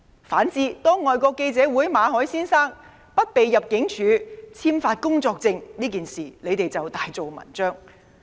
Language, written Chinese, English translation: Cantonese, 反之，對外國記者會馬凱先生不獲入境處簽發工作簽證這件事，反對派卻大做文章。, On the contrary regarding the refusal of the Immigration Department ImmD to renew the work visa of Mr Victor MALLET of FCC the opposition camp made a mountain out of a molehill